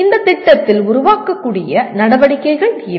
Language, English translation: Tamil, These are the activities that can be built into the program